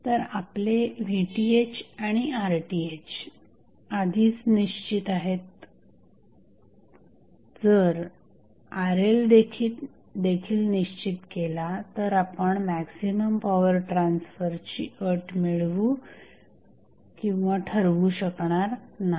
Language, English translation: Marathi, So, your Vth and Rth is already fixed, if Rl is also fixed, you cannot find the maximum power transfer condition